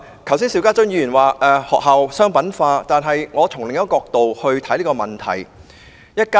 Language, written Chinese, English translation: Cantonese, 剛才邵家臻議員談及學校商品化，但我從另一個角度去看這個問題。, Mr SHIU Ka - chun talked about commercialization of schools earlier but I will discuss the problem from another perspective